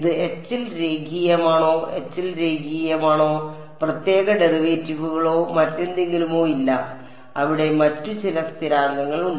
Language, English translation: Malayalam, Is it linear in H it is linear in H there are no special derivatives or anything right there is some there are some other constants over there